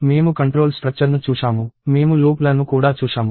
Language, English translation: Telugu, We looked at control structures; we also looked at the notion of loops